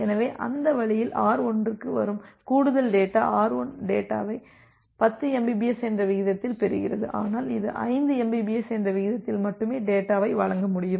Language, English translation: Tamil, So, that way that additional data which is coming to R1; so, R1 is receiving the data at a rate of 10 mbps, but it is only able to deliver the data at a rate of 5 mbps